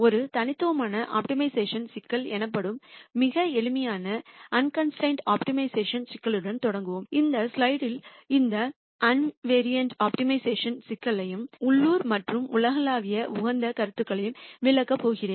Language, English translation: Tamil, Let us start with a very simple unconstrained optimization problem called an univariate optimization problem and in this slide I am going to explain this univariate optimization problem and the ideas of local and global optimum